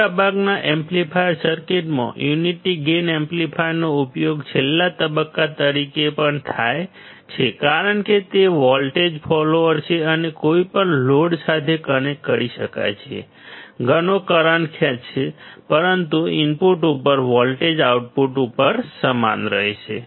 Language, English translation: Gujarati, The unity gain amplifier is also used as the last stage in most of the amplifying circuits because it is a voltage follower and can be connected to any load which will draw lot of current, but the voltage at the input will be same at the output